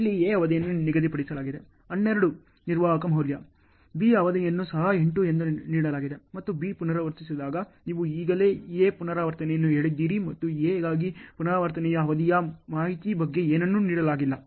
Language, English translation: Kannada, Here A’s duration is fixed 12 deterministic value, B’s duration is also deterministic given as 8 and every time B repeats, you have already told A repeats and nothing is given on information on repeat duration for A